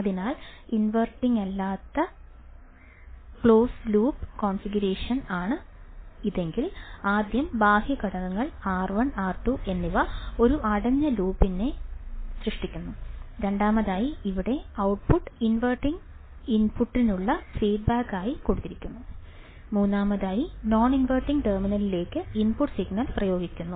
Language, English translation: Malayalam, So, if I see the non inverting close loop configuration, firstly the external components R 1 and R 2 forms a closed loop right, first point is that external components R 1 and R 2 forms the closed loop, similar to the inverting amplifier